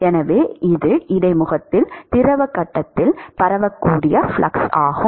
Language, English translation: Tamil, So, this is the diffusive flux in the fluid phase at the interface